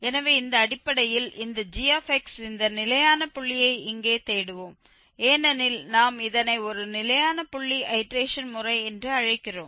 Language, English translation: Tamil, So, based on this because we are looking here for this fixed point of this gx we are calling this a fixed point iteration method